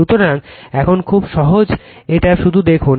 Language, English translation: Bengali, So, now, very easy it is just see